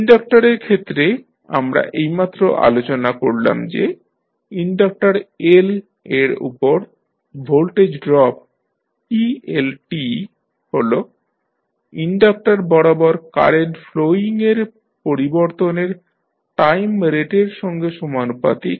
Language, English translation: Bengali, In case of inductors, we just now discussed that the voltage drop that is eL across the inductor L is proportional to time rate of change of current flowing through the inductor